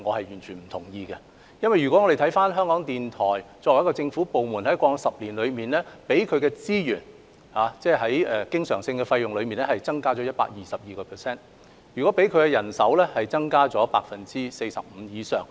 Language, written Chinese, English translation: Cantonese, 原因是港台作為一個政府部門，在過往10年獲得的經常性開支增加了 122%， 人手增加了 45% 以上。, The reason is that as a government department RTHK has seen its recurrent expenditure increased by 122 % and its manpower by more than 45 % over the past decade